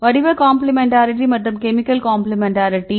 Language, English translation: Tamil, Shape complementarity and chemical complementarity